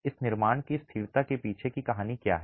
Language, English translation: Hindi, What is the story behind the stability of this construction